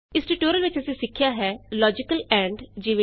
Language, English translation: Punjabi, In this tutorial we learnt about Logical AND eg